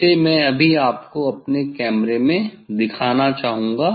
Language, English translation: Hindi, that just I would like to show you in my camera